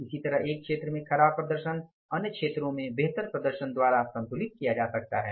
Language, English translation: Hindi, Likewise, substandard performance in one area may be balanced by a superior performance in other areas